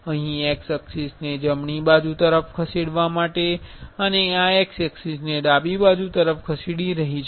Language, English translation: Gujarati, Here to move x axis towards right side, this is moving x axis towards left side